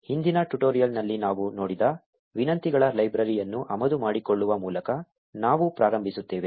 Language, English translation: Kannada, We start by importing the requests library that we saw in the previous tutorial